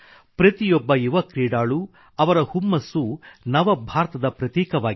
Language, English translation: Kannada, Every young sportsperson's passion & dedication is the hallmark of New India